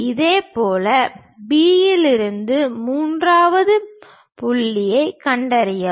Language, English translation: Tamil, Similarly, from B locate third point